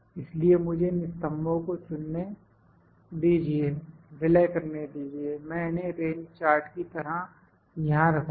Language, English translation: Hindi, So, let me calculate or let me pick these columns, merge, I will put here range chart